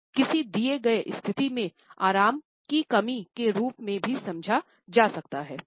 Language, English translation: Hindi, It can also be interpreted as a lack of comfort in a given situation